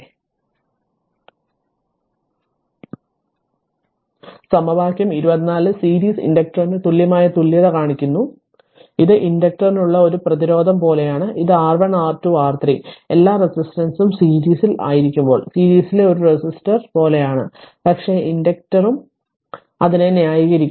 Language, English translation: Malayalam, Therefore equation 24 shows the equivalent equivalent for the series inductor, it is like a resistance this for inductor case it is like a resistor in series when R1 R2 R3 all resistance are in series we add it you do the same thing, but inductor also just you add it right